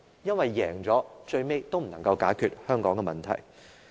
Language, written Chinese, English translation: Cantonese, 因為，即使這樣勝出了，最後也是無法解決香港的問題的。, It is because if he or she wins in this way he or she will not be able to solve the problems for Hong Kong